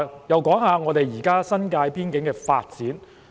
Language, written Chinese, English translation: Cantonese, 讓我談談現時新界邊境的發展。, Let me talk about the development of the frontier areas in the New Territories